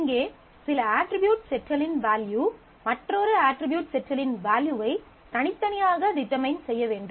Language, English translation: Tamil, So, here we need that the value of certain set of attributes uniquely determine the value of another set of attributes